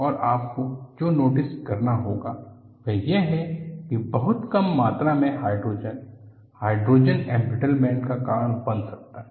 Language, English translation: Hindi, And what you will have to notice is, very small amounts of hydrogen can cause hydrogen embrittlement